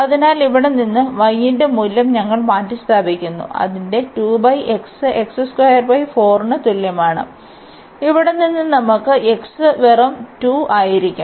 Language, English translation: Malayalam, So, here we substitute the value of y from there, its a 2 over x 2 over x is equal to x square by 4 and from here we can get that x will be just 2